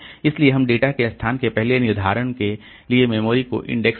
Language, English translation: Hindi, So, we keep index in memory for first determination of location of data to be operated on